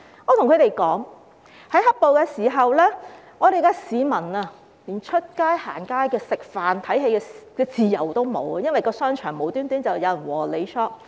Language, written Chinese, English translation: Cantonese, 我告訴他們，在"黑暴"期間，市民連出街、逛街、吃飯和看戲的自由也沒有，因為商場無故有人"和你 shop"。, I told them that during the period when black - clad rioters ran amok people did not even have the freedom to go out window - shop dine out or go to the movies because someone would shop with you in the shopping mall for no good reason